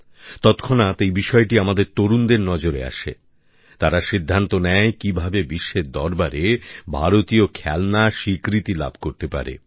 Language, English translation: Bengali, Within no time, when this caught the attention of our youth, they too resolutely decided to work towards positioning Indian toys in the world with a distinct identity